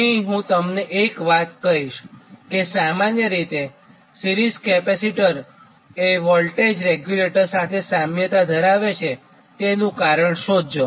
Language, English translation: Gujarati, i will tell you one thing: you find out what is the reason generally series capacitor they give it is analogues to voltage regulator, right